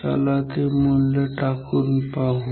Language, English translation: Marathi, So, let us put the value